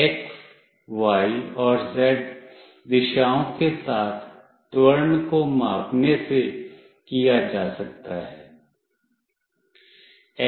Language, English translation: Hindi, This can be done by measuring the acceleration along the x, y and z directions